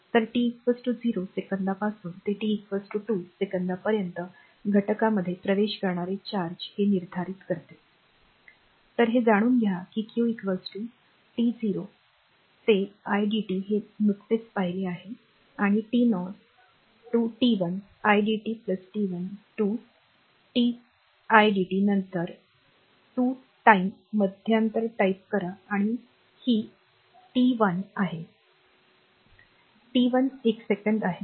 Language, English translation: Marathi, So, we know that q is equal to t 0 to idt is just we have seen right and t 0 to t 1 idt plus t 1 to t i dt then you have a 2 time interval this is say t 0 and this is t 1; t 1 is one second